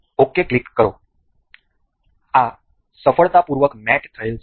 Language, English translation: Gujarati, Click ok, this is mated successfully